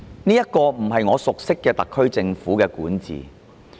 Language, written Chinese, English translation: Cantonese, 這不是我熟悉的特區政府管治。, This is not the SAR Governments governance that I am familiar with